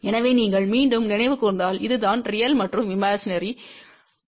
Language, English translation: Tamil, So, same thing if you recall again this is the real and imaginary